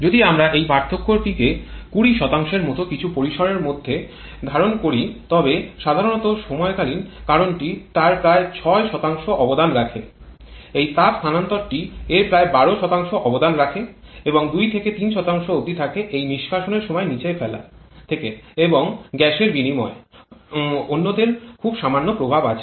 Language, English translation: Bengali, If we assume the difference to be in the range of something like 20% then general is timeless factor contributes about 6% of that this heat transfer contributes about 12% of that and remain in 2 to 3% comes from this exhaust blow down and gas exchange others having a very minor effect